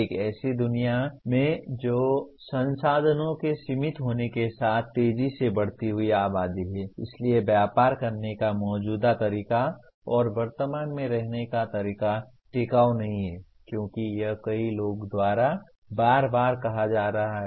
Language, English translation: Hindi, In a world that this is a fast growing population with resources being limited, so the current way of living and current way of doing business is not sustainable as it is being repeatedly stated by so many people